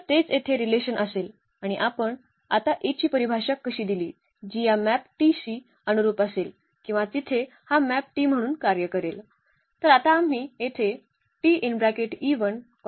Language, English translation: Marathi, So, that will be the will be the relation here and how we define now the A which will be exactly corresponding to this map T or will function as this map T there